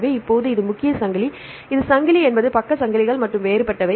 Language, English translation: Tamil, So, now, this is the main chain this is chain is the same only the side chains are different